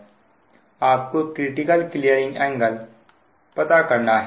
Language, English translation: Hindi, you have to find out the critical clearing angle